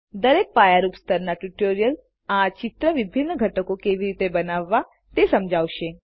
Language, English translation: Gujarati, Each basic level tutorial will demonstrate how you can create different elements of this picture